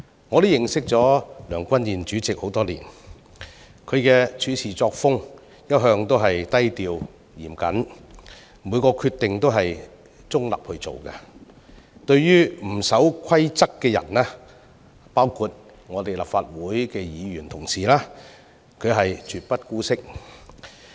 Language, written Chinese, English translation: Cantonese, 我與梁君彥主席相識多年，其處事作風向來低調嚴謹，以中立的立場作出每個決定，而對不守規則的人包括立法會的議員同事，他絕不姑息。, I have a long acquaintance with President Andrew LEUNG . He is a low - key person known for his meticulousness and maintaining neutrality in making every decision with no tolerance for rule - breakers including Honourable colleagues of the Legislative Council